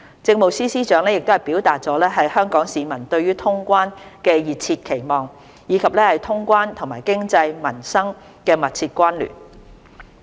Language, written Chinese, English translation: Cantonese, 政務司司長表達了香港市民對通關的熱切期望，以及通關和經濟、民生的密切關聯。, The Chief Secretary for Administration expressed Hong Kong peoples eagerness for resumption of quarantine - free travel and the close correlation of resuming quarantine - free travel with the economy and peoples livelihood